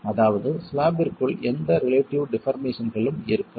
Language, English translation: Tamil, That is within the slab there is going to be no relative deformations